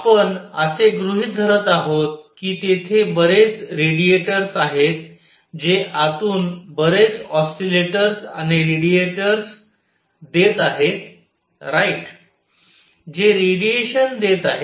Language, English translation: Marathi, We are going to assume that there are lot of radiators, which give out lot of oscillators and radiators inside right, which give out radiation